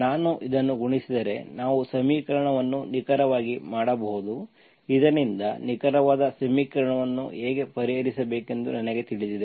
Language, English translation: Kannada, If I multiply this, we can make the equation exact, so that I know how to solve the exact equation